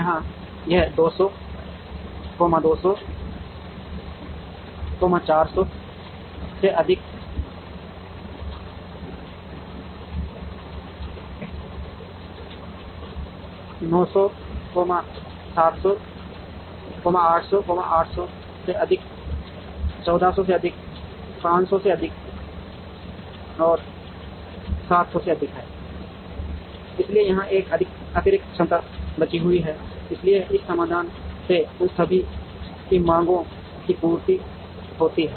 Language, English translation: Hindi, Here, it is 200, 200, 400 plus 100, 500, 500 plus 1000 is 1500 plus 500 is 1000, so there is a excess capacity that is left here, so the demand for all those is also met by this solution